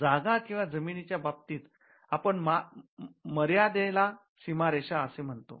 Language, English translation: Marathi, In the case of the land we call them the boundaries of the land